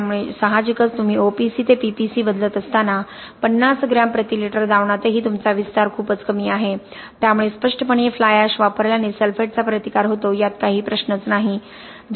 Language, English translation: Marathi, So obviously when you are changing OPC to PPC even at the 50 gram per litre solution you have a very low expansion, so obviously using fly ash leads to sulphate resistance there is no question about that